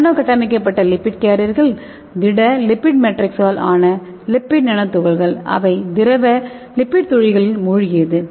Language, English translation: Tamil, Here the nanostructured lipid carriers are lipid nano particles composed of solid lipid matrix immersed in liquid lipid droplets, okay